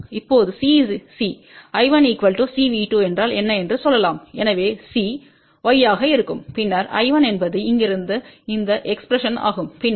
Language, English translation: Tamil, For now C let us say what is I 1 is C times V 2, so C will be Y and then I 1 is this expression here from here then I 1 is C V 2 minus D I 2